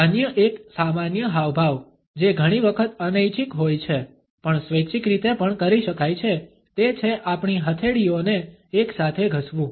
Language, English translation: Gujarati, Another common gesture which is often involuntary, but can also be done in a voluntary fashion is rubbing our palms together